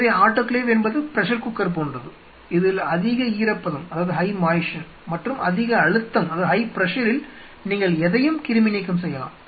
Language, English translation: Tamil, So, autoclave is something like a pressure cooker, where at high moisture and high pressure you sterilize anything